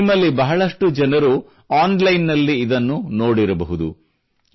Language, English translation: Kannada, Most of you must have certainly seen it online